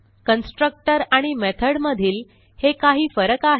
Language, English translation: Marathi, So this were some differences between constructor and method